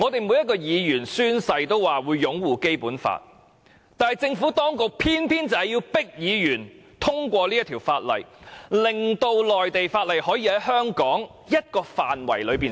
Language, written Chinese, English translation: Cantonese, 每位議員在宣誓時也承諾會擁護《基本法》，但政府當局偏要迫使議員通過《條例草案》，令內地法例可以在香港的某個範圍內實施。, Although every Member has undertaken to uphold the Basic Law when they took their oath we are now forced by the Administration to pass the Bill to enable the implementation of Mainland laws in a certain area of Hong Kong